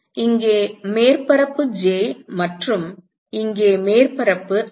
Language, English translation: Tamil, So, here is surface j and here is surface i